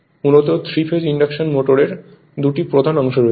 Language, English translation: Bengali, So, the 3 phase induction motor has 2 main parts